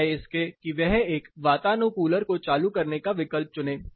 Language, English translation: Hindi, Rather than opting to switch on an air conditioning system